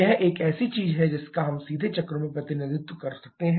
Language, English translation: Hindi, This is something that we can directly represent on the cycles